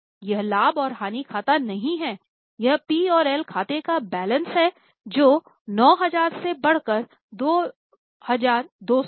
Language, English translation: Hindi, This is a balance of P&L account which has increased from 9,000 to 22,000